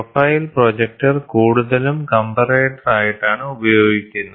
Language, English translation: Malayalam, Profile projector is used more of comparator